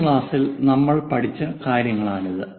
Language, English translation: Malayalam, These are the things what we have learned in the last class